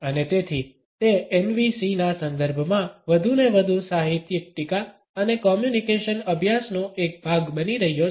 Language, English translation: Gujarati, And therefore, it is increasingly becoming a part of literary criticism and communication studies in the context of NVCs